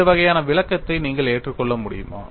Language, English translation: Tamil, Can you agree to this kind of an explanation